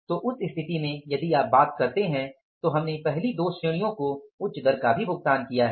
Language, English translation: Hindi, So, in that case, if you talk about we have paid the rate also higher in the first two categories